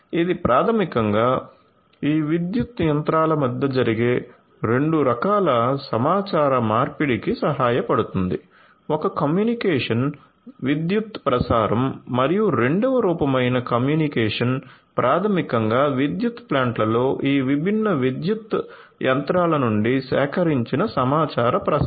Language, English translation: Telugu, So, this will basically help in 2 types of communication happening between these power machinery, one communication is the transmission of electricity and the second form of communication is basically the transmission of the information that are collected from these different power machinery in the power plants right so, 2 types of communication are going to happen